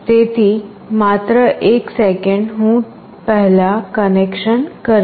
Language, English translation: Gujarati, So, just a second I will just make the connection first